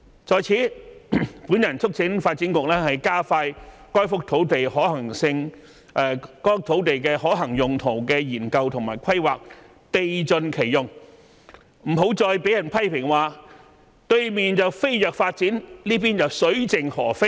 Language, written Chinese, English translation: Cantonese, 在此，我促請發展局加快該幅土地的可行用途的研究和規劃，地盡其用，不要再被人批評"對面飛躍發展，這裏卻水盡鵝飛"。, I wish to urge the Development Bureau to expedite the land use study and site planning so as to make optimal use of the site and to avoid being criticized for keeping the Hong Kong area primitive while seeing vibrant developments on the other side of the boundary